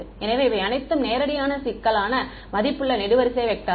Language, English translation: Tamil, So, all of these are complex valued column vectors, straightforward